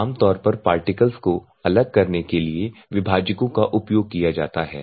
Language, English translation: Hindi, This is separators normally separators meet are normally used to separate out the particles